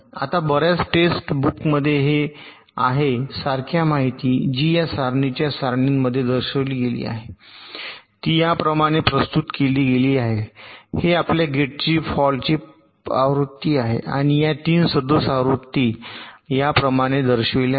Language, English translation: Marathi, ok, now, in many text books, this same information, which is shown in a tabular fashion like this, it is represented like this: as if this is the fault free version of your gate, and these are the three faulty versions, is shown like this